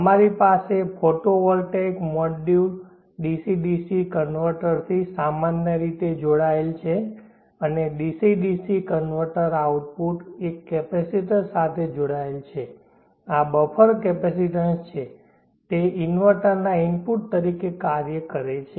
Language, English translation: Gujarati, Let us have a look at that topology, we have the photovoltaic module as usual connected to a DC DC converter and the DC DC converter output is connected to a capacitor there is a buffer capacitance, and that acts as an input to the inverter